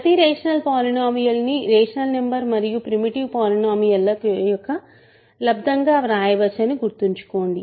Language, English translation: Telugu, Remember we can write every rational polynomial as a product of rational number and a primitive polynomial